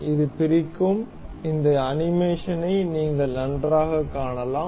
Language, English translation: Tamil, This explode, you can see this animation nicely